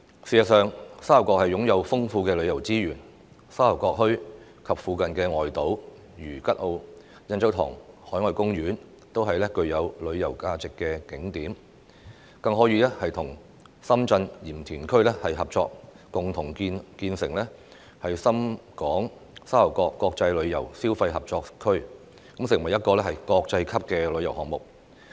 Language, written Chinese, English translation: Cantonese, 事實上，沙頭角擁有豐富旅遊資源，沙頭角墟及附近外島如吉澳、印洲塘海岸公園都是具有旅遊價值的景點，更可以與深圳鹽田區合作共同建立沙頭角深港國際旅遊消費合作區，成為一個國際級旅遊項目。, In fact Sha Tau Kok has rich tourism resources . The Sha Tau Kok Town and the nearby islands such as Kat O and the Yan Chau Tong Marine Park are tourist attractions with tourism value . We may also cooperate with the Yantian District in Shenzhen to establish the Sha Tau Kok Shenzhen - HK international tourism consumption cooperation area and make it a world - class tourism project